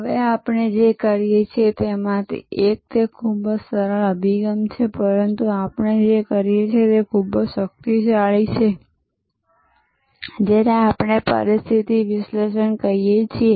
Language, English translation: Gujarati, Now, one of the things we do and it is very simple approach, but quite powerful is what we do we call a situation analysis